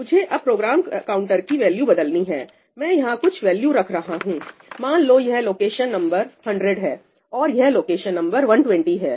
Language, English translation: Hindi, I am putting some values over here, let us say, this is location number 100 and this is location number 120